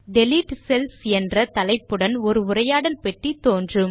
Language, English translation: Tamil, A dialog box appears with the heading Delete Cells